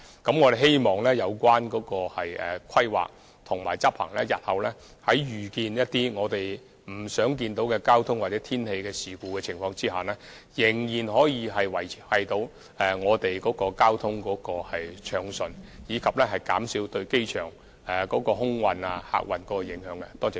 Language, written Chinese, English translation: Cantonese, 我們希望透過執行這些規劃及措施，日後在遇到一些我們不想看到的交通或天氣事故時，仍然能夠維持交通暢順，以及減少對機場空運和客運的影響。, Through the implementation of such planning and measures we hope that in case of undesirable traffic accidents or inclement weather in future smooth traffic can still be maintained while the impact on aviation and passenger traffic of the airport can be reduced